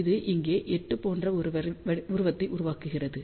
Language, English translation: Tamil, So, it makes a figure of 8 like this over here